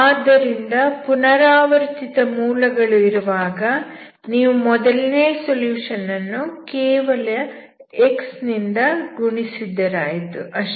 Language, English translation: Kannada, So if there are repeated roots simply multiply x to the first solution